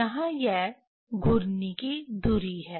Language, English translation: Hindi, Here axis of rotation is this one